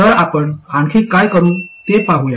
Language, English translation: Marathi, So let's see what else we can do